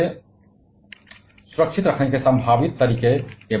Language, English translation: Hindi, And possible ways of getting us protected from that